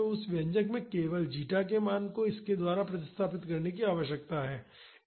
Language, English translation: Hindi, So, in that expression we just need to replace the value of zeta by this